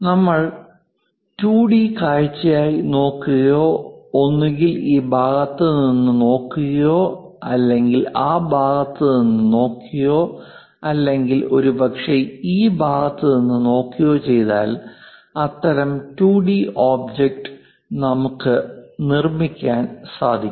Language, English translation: Malayalam, That one, if we are looking at as a view as a 2D one either looking from this side or perhaps looking from that side or perhaps looking from this side, we will be in a position to construct such kind of 2D object